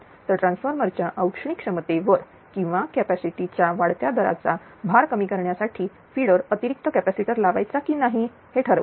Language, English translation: Marathi, So, determine a whether or not to install the additional capacitors on the feeder to decrease the load to the thermal capability of the transformer or the rating of the additional capacitor right